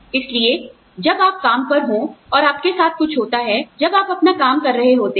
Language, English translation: Hindi, And, something happens to you, while you are doing your work